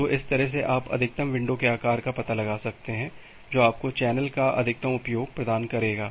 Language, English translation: Hindi, So, that way am you can you can find out the maximum window size which will provide you the maximum utilization of the channel